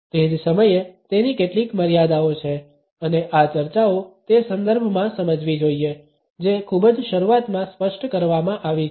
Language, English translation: Gujarati, At the same time, there are certain limitations to it and these discussions should be understood within the context which has been specified in the very beginning